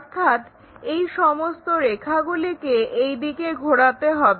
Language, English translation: Bengali, So, all this line has to be rotated in that direction